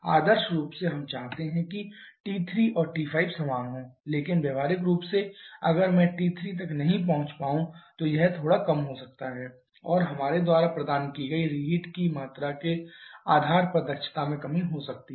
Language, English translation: Hindi, Ideally we want T 3 and T 5 to be equal but practically if I may not reach up to T 3 it may be slightly lower and depending upon the amount of reheat we have provided efficiency may increase may decrease